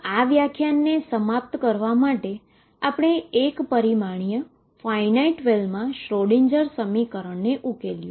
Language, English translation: Gujarati, So, to conclude this lecture we have solved the Schrodinger equation for a particle moving in a finite well potential in one d